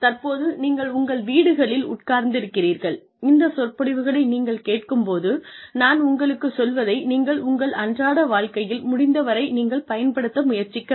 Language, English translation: Tamil, So that, you sitting in your homes, when you are listening to this set of lectures, you will be able to apply, whatever I am telling you, to your daily lives, as far as possible